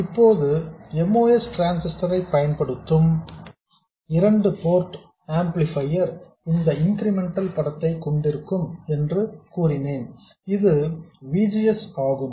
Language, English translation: Tamil, So, now I said that a 2 port amplifier using a MOS transistor will have this incremental picture, where this is VGS